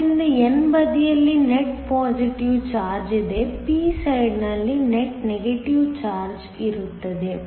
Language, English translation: Kannada, So, that there is a net positive charge on the n side, there is a net negative charge on the p side